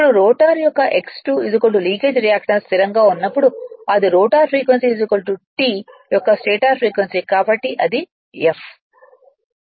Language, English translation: Telugu, Now when X 2 is equal to leakage reactance of the rotor at stand still, that is rotor frequency is equal to stator frequency of the time right so it is f